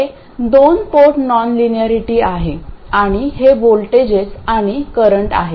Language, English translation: Marathi, This is a two port non linearity and these are the voltages and currents